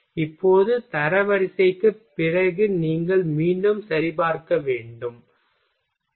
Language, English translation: Tamil, Now after ranking after ranking you will have to again recheck ok